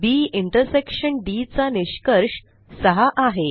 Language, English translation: Marathi, So the result of B intersection D is 6